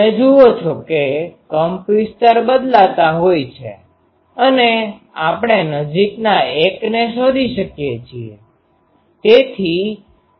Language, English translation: Gujarati, You see that amplitude is varies we can find the nearest 1